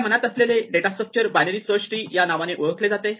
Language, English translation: Marathi, The data structure we have in mind is called a binary search tree